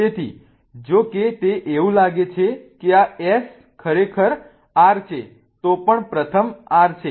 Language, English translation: Gujarati, So, even though it looks like S, this one is really R